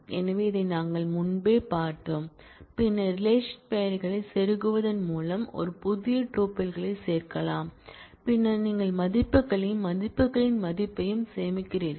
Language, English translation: Tamil, So, we had seen this earlier we can add a new tuple by inserting to then the relation names, and then you save values and the tuple of values